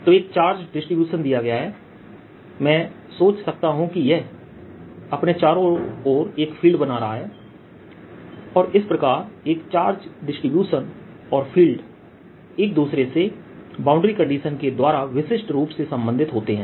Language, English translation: Hindi, what we had said is, given a charge distribution, i can think of this creating a field around and a charge distribution and field are uniquely related, given boundary condition